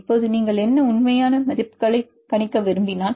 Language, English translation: Tamil, Now, if you want to predict the real values